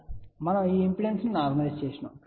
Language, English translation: Telugu, So, we normalized this impedance